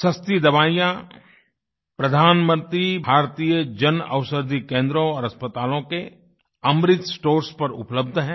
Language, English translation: Hindi, Affordable medicines are now available at 'Amrit Stores' at Pradhan Mantri Bharatiya Jan Aushadhi Centres & at hospitals